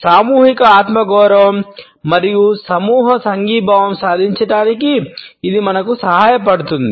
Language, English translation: Telugu, It also helps us to achieve collective self esteem and group solidarity